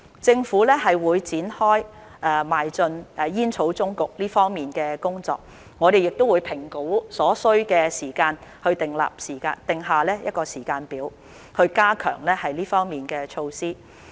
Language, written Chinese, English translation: Cantonese, 政府會展開邁進煙草終局這方面的工作，我們會評估所需時間去訂下時間表，以加強這方面的措施。, The Government will commence its work in moving towards a tobacco endgame and we will assess the time needed to set a timetable to strengthen the measures in this regard